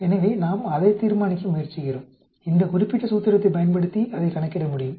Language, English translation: Tamil, So we are trying to determine that, it can be calculated by using this particular formula